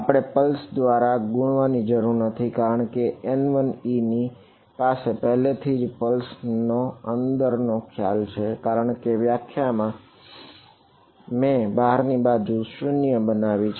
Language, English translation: Gujarati, Pulse we do not need to multiply by pulse because N 1 e already has the pulse notion inside it, because I by definition I have made it 0 outside